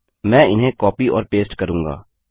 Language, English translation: Hindi, I will copy and paste them